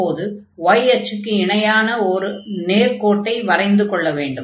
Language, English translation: Tamil, So, now draw the line parallel to the y axis